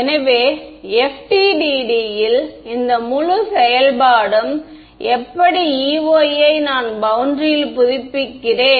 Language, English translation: Tamil, So, this whole implementing in FDTD is how do I update E y on the boundary